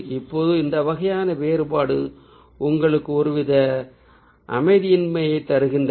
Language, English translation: Tamil, this kind of a contrast is giving us some kind of a restlessness